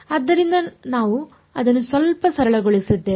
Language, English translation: Kannada, So, we made it a little bit simpler